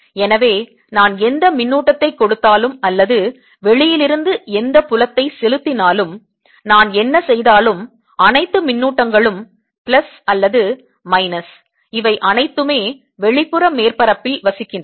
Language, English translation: Tamil, so whatever charges i gave or whatever field i applied from outside, no matter what i did, all the charges plus or minus decide on the outer surface